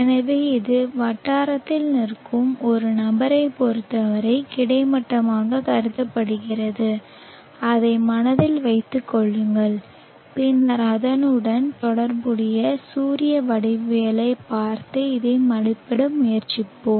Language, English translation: Tamil, So this is said or this is considered as horizontal with respect to a person standing at the locality keep that in mind and then we will look at the corresponding solar geometry and try to estimate this